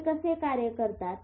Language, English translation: Marathi, How do they do it